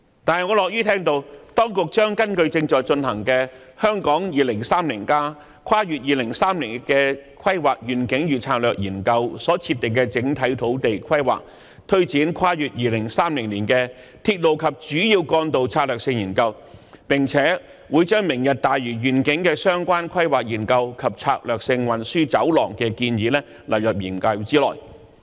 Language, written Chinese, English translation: Cantonese, 但是，我樂於聽到當局將根據正在進行的《香港 2030+： 跨越2030年的規劃遠景與策略》研究所設定的整體土地規劃，推展《跨越2030年的鐵路及主要幹道策略性研究》，並且會把"明日大嶼願景"的相關規劃研究及策略性運輸走廊的建議納入研究內。, Nevertheless I am glad to hear that the authorities will take forward the Strategic Studies on Railways and Major Roads beyond 2030 based on the overall land planning laid down in the study on Hong Kong 2030 Towards a Planning Vision and Strategy Transcending 2030 now in progress and include the relevant planning studies on the Lantau Tomorrow Vision and the proposed strategic transport corridors in the study